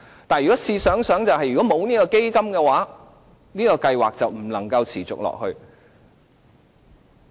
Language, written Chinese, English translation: Cantonese, 但試想想，如果沒有這個基金，計劃便不能持續下去。, But the point here is that without the fund concerned it will be impossible to continue with the programme